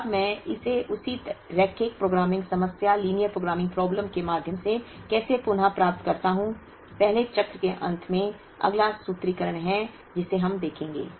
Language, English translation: Hindi, Now, how do I reallocate it through at the same linear programming problem, at the end of the first cycle is the next formulation that we will see